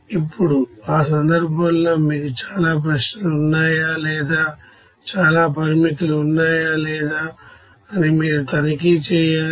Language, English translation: Telugu, Now in that case you have to check whether you have too many questions or too many restrictions are there or not